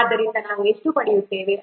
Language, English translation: Kannada, So I will get how much